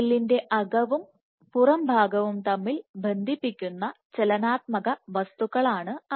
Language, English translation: Malayalam, And they are those dynamic wells which connect the inside of the cell with the outside of the cell